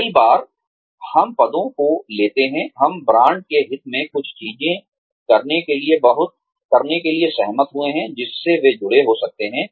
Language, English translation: Hindi, Many times, we take up positions, we agreed to doing certain things, in the interest of the brand, that they may be associated with